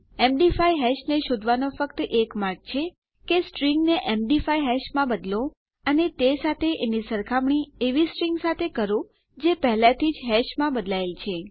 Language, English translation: Gujarati, The only way to find out an MD5 hash is to convert a string to an MD5 hash as well and compare it to a string that has already been converted to a hash